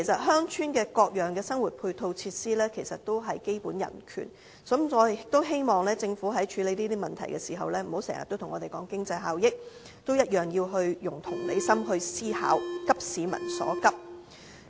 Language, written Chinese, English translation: Cantonese, 鄉村的各樣生活配套設施同樣也是基本人權，我希望政府處理這些問題時，不要經常跟我們說經濟效益，同樣要用同理心思考，急市民所急。, Access to public ancillary facilities in rural areas is also an issue of basic human rights for residents there so I hope the Government can be sympathetic to rural residents and address to their needs when dealing with these issues instead of concentrating only on economic efficiency